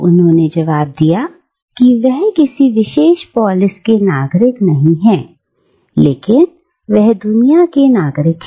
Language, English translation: Hindi, He replied that he was not a citizen of any particular polis, but, he was a citizen of the world